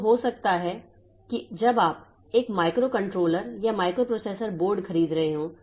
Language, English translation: Hindi, So, maybe that when you are buying a microcontroller or microprocessor board, so it also has got an operating system